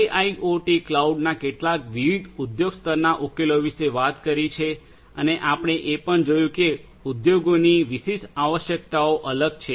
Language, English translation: Gujarati, We are talked about some of these different industry level solutions for IIoT cloud and we have also seen that industry specific requirements are different